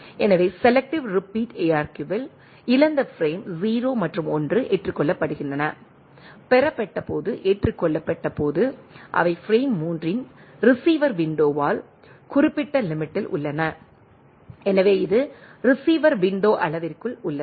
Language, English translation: Tamil, So, in selective repeat ARQ, lost frame 0 and 1 are accepted, when the received accepted when receive because, they are in the range specified by the receiver window of the frame 3